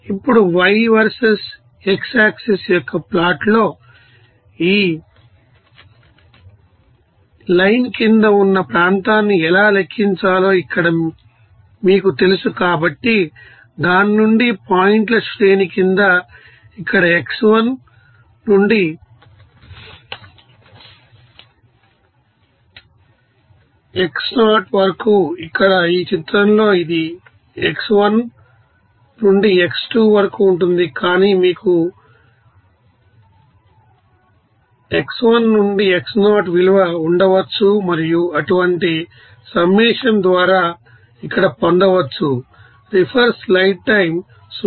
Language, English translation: Telugu, So, this you know area under a series of points from that, you know x1 to xn here, here up here in this picture it is x1 to x2, but you may have you know x1 to xn value and it can be obtained by summation of such terms here